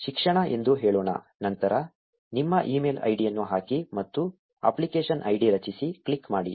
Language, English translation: Kannada, Let us say education, then put in your email id and click ‘Create App ID’